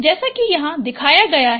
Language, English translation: Hindi, This can be shown easily